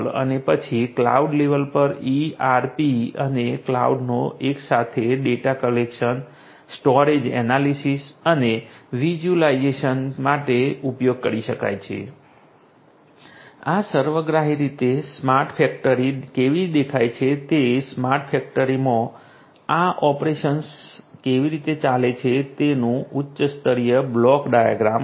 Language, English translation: Gujarati, And then at the cloud level the ERP could be used ERP and cloud together could be used for data collection storage analysis and visualization, this is holistically how a smart factory looks like this is the high level block diagram of how these operations go on in a smart factory